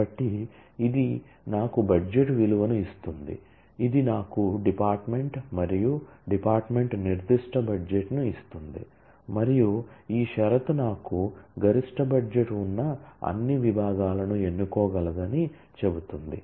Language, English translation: Telugu, So, this gives me the budget value, this gives me the department and department specific budget, and this condition tells me that I can choose all the departments which has the maximum budget very nice way of using this